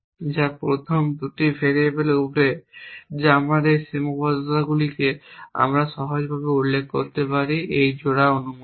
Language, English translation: Bengali, Then we are talking about a constraint which is over the first 2 variables what us those constraints we can simply specify it as saying that these pairs are allowed